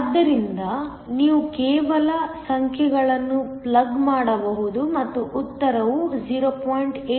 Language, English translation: Kannada, So, you can just plug in the numbers and the answer is 0